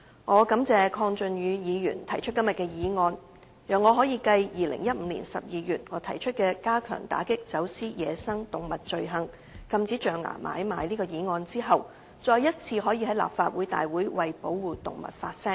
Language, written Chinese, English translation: Cantonese, 我感謝鄺俊宇議員提出今天的議案，讓我可以繼於2015年12月提出"加強打擊走私野生動物罪行"有關禁止象牙買賣的議案後，再次在立法會會議為保護動物發聲。, I thank Mr KWONG Chun - yu for moving todays motion as it enables me to speak again for the protection of animals at the meeting of the Legislative Council further to the motion on Strengthening the combat against the crime of wildlife smuggling moved by me in December 2015 about the ban on ivory trade